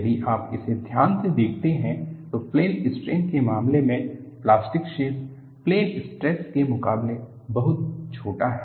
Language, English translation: Hindi, If you watch it carefully, the plastic zone in the case of a plane strain is much smaller than, what you have in the case of a plane stress